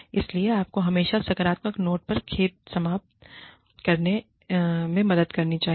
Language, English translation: Hindi, So, you should always help on a, sorry, end on a positive note